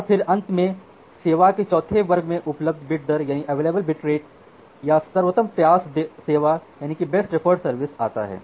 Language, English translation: Hindi, And then finally, comes to the fourth class of service, which we call as the available bit rate or the best effort service